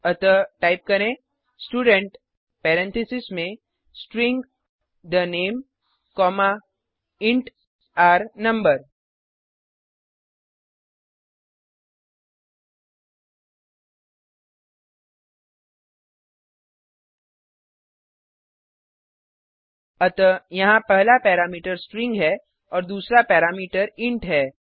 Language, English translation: Hindi, So type Student within parentheses String the name comma int r no So over here first parameter is string and the second parameter is int Then Within curly bracket, roll number is equal to r no